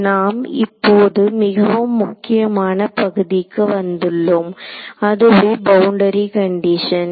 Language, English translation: Tamil, So, now, we come to the very crucial part which is boundary condition right